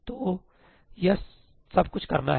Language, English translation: Hindi, So, all of that has to be done